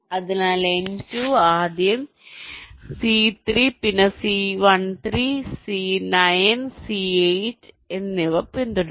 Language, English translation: Malayalam, so n two will be following first c three, then c thirteen, then c nine, then c eight, then n three